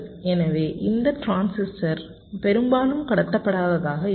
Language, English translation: Tamil, so this transistor will be mostly non conducting